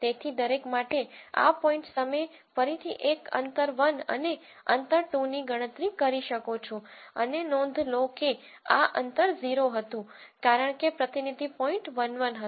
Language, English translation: Gujarati, So, for each of these points you can again calculate a distance 1 and distance 2, and notice previously this distance was 0 because the representative point was 1 1